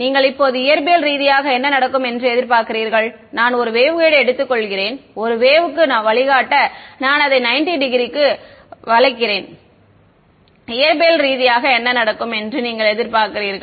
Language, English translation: Tamil, Now, what do you expect physically to happen I take a waveguide its guiding a wave I bend it by 90 degrees what would you expect will happen physically